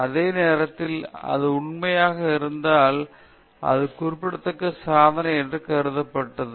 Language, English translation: Tamil, It was regarded as remarkable accomplishment, if it were true at that time